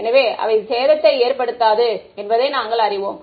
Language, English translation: Tamil, So, we know that they do not cause damage right